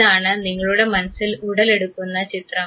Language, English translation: Malayalam, This is the image that gets generated in your mind